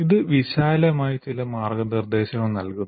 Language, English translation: Malayalam, It provides some guidance